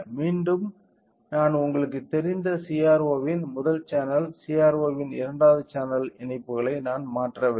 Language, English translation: Tamil, Again, so, I have not changed the connections to you know I to the first channel of CRO as well as second channel of CRO